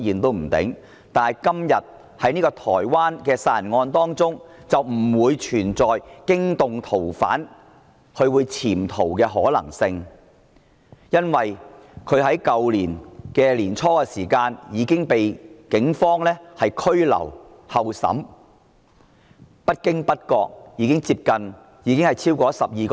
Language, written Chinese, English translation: Cantonese, 但是，今天這宗台灣殺人案便不存在驚動逃犯或潛逃的問題，因為疑犯在去年年初已經被警方拘留候審，至今不知不覺已經超過12個月。, However regarding this homicide case in Taiwan the possibility of alerting the fugitive offender or abscondment does not exist . The reason is that the suspect has been detained by the Police and is awaiting trial since the beginning of last year . As time flies it has been more than 12 months now